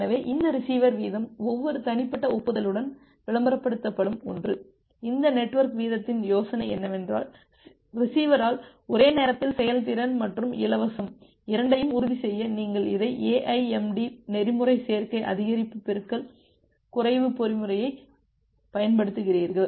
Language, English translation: Tamil, So, this receiver rate is something that is advertised by the receiver with every individual acknowledgement and this network rate the idea is that you apply this a AIMD protocol additive increase multiplicative decrease protocol to ensured both efficiency and free on a simultaneously